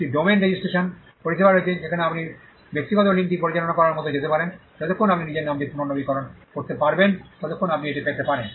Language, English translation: Bengali, There is a domain ah registration service, where you can go like private link manages it you can get it as long as you keep renewing the name you can have it